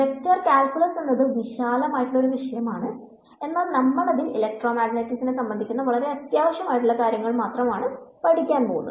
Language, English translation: Malayalam, Vector calculus is a very vast area, we will cover only those parts which are relevant to electromagnetics